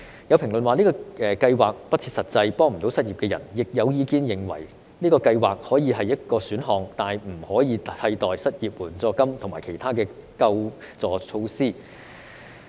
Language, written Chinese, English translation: Cantonese, 有評論指這項計劃不切實際，未能幫助失業人士，亦有意見認為這項計劃可以是一個選項，但不可以替代失業援助金和其他的救助措施。, Some commented that the plan was unrealistic and failed to help the unemployed . Others believed that the plan could be offered as option but it should not replace unemployment assistance and other relief measures